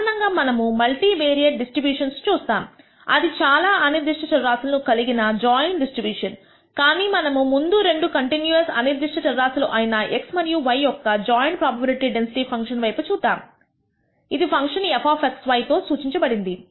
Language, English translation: Telugu, In general, we will be dealing with the multivariate distributions which are joint distribution of several random variables, but first we will look at the joint probability density function of two continuous random variables x and y denoted by the function f of x comma y